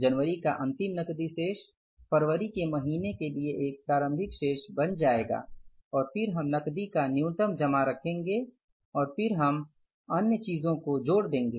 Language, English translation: Hindi, This opening balance of the closing balance of the cash for the month of January will become the opening balance for the month of February and then we'll keep the minimum balance of the cash and then we'll put the other things